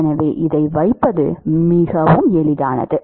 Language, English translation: Tamil, So, it is very easy put this